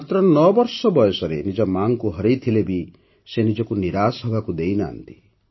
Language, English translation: Odia, Even after losing her mother at the age of 9, she did not let herself get discouraged